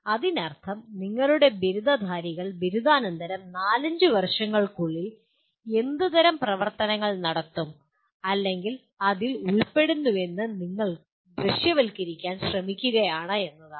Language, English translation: Malayalam, That means you are trying to visualize what kind of activities your graduates will be doing or involved in let us say in four to five years after graduation